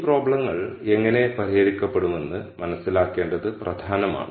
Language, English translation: Malayalam, So, it is important to understand how these problems are solved